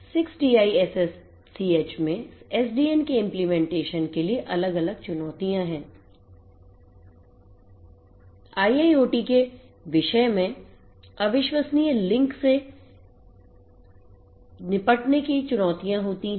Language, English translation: Hindi, For implementation of SDN in 6TiSCH there are different challenges; challenges of dealing with unreliable links in a IIoT scenarios